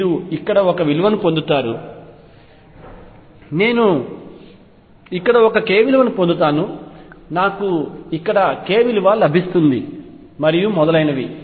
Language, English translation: Telugu, And you get a value here, I will get a value here, I get a value here and so on